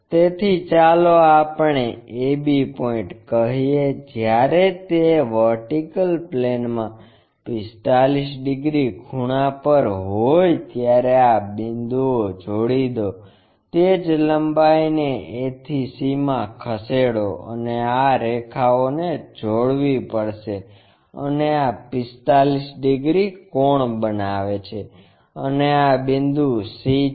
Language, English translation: Gujarati, So, from this point let us call a, b point it is suppose to make 45 degrees when it is in the vertical plane join these points, transfer the same length a to c this length has to be transferred and connect these lines and this is making 45 degrees angle and this point is c